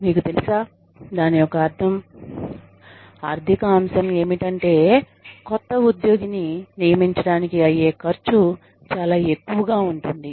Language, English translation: Telugu, You know, of course, the financial aspect of it is, that the cost of hiring a new employee is, can be very high